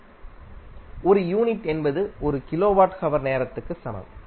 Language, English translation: Tamil, Unit means the 1 unit is in the form of 1 kilowatt hour